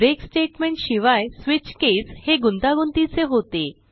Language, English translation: Marathi, without the break statement, the switch case functions in a complex fashion